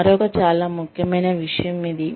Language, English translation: Telugu, Another very important aspect